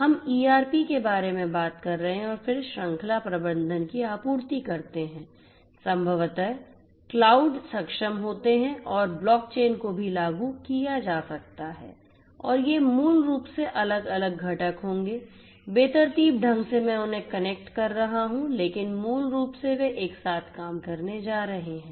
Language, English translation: Hindi, We are talking about you know ERP, then supply chain management, probably cloud enabled and also may be you know block chain implemented, block chain implemented and these basically will be these are these different components which are going to randomly I am you know connecting them, but basically they are going to work together